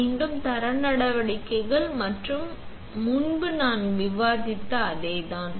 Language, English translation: Tamil, Again, the quality measures are same which we had discussed earlier